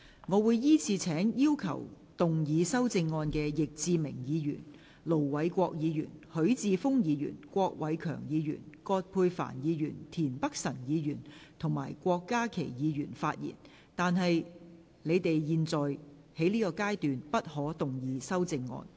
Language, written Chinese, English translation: Cantonese, 我會依次請要動議修正案的易志明議員、盧偉國議員、許智峯議員、郭偉强議員、葛珮帆議員、田北辰議員及郭家麒議員發言；但他們在現階段不可動議修正案。, I will call upon Members who move the amendments to speak in the following order Mr Frankie YICK Ir Dr LO Wai - kwok Mr HUI Chi - fung Mr KWOK Wai - keung Dr Elizabeth QUAT Mr Michael TIEN and Dr KWOK Ka - ki; but they may not move the amendments at this stage